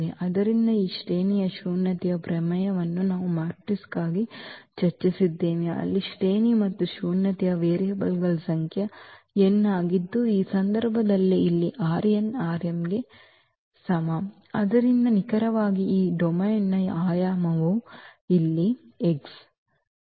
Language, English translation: Kannada, So, this rank nullity theorem we have also discussed for matrices where rank plus nullity was the number of variables n which is here in this case that is because this A maps from R n to R m; so that exactly the dimension of this domain here the dimension of X